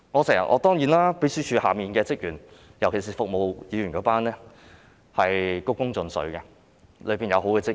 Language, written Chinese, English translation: Cantonese, 當然，秘書處轄下，特別是服務議員的職員均是鞠躬盡瘁的，當中有好的職員。, Certainly staff of the Secretariat particularly those serving Members are working dutifully and whole - heartedly and there are good staff members